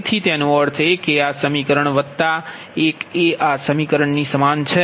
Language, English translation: Gujarati, so v, that means this expression is equal to this one plus this expression